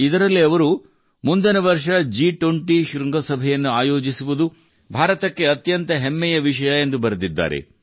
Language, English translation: Kannada, In this he has written that it is a matter of great pride for India to host the G20 summit next year